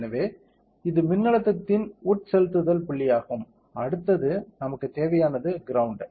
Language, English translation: Tamil, So, this is our injection point of the voltage correct next thing what we need is ground